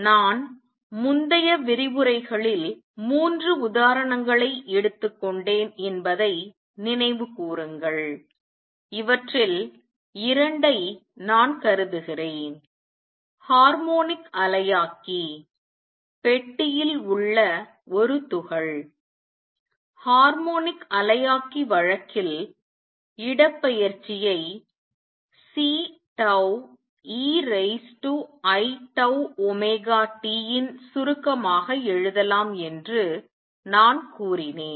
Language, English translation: Tamil, Recall, I took 3 examples in the previous lectures and I just consider 2 of these; the harmonic oscillator and the particle in a box and in the harmonic oscillator case, I said that the displacement can be written as summation C tau e raise to i tau omega t where omega is the basic frequency which is nu times 2 pi which was equal to 2 pi v over 2 L